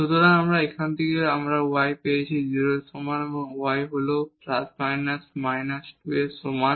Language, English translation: Bengali, So, from here we got y is equal to 0 and y is equal to plus minus 2